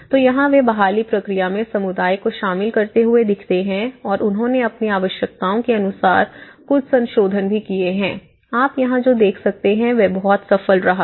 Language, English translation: Hindi, So, here, what happens is they also looked at involving the community in the recovery process and they also made some modifications according to their needs but what you can see here is this has been very successful